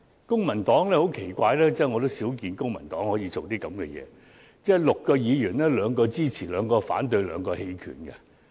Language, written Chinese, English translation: Cantonese, 公民黨對該法案的立場很奇怪：在6名公民黨議員中，兩名表決支持，兩名表決反對，兩名棄權。, The Civic Partys position on the bill was very strange among the six Members from the Civic Party two voted in favour of the bill two voted against it and two abstained